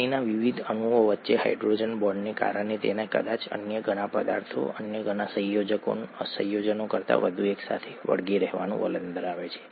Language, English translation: Gujarati, Because of the hydrogen bonds between the various molecules of water they tend to stick together a lot more than probably many other substances, many other compounds